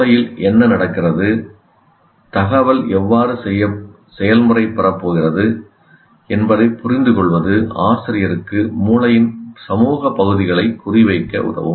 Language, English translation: Tamil, So, an understanding of what is happening, how the information is going to get processed, will help the teacher to target social parts of the brain